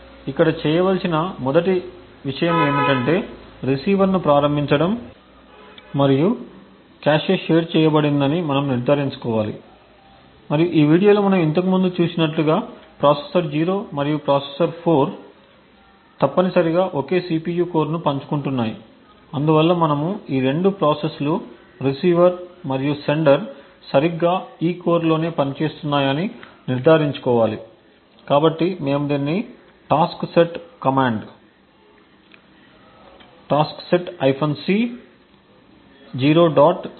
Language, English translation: Telugu, The 1st thing to do is to start the receiver and we need to ensure that the cache is shared and as we have seen earlier in this video the processor 0 and the processor 4 are essentially sharing the same CPU core thus we need to ensure that both these processors the receiver and the server are executing on exactly this core, so we can do this by the taskset command taskset c 0